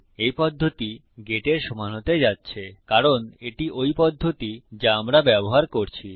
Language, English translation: Bengali, This method is going to equal get because thats the method were using